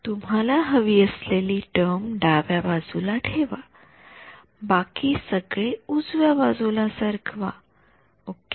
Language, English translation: Marathi, keep the term that you want on the left hand side move everything else to the left hand side ok